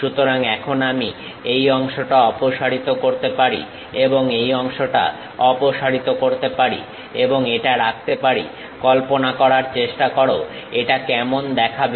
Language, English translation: Bengali, So, now I can remove this part and remove this part and retain this part, try to visualize how it looks like